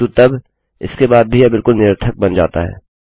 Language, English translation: Hindi, But then even after this, it becomes absolute rubbish